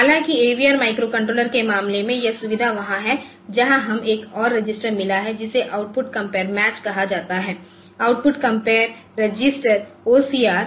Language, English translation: Hindi, However in case of AVR microcontroller so this feature is there where we have got another register which is called output compare match, output compare register OCR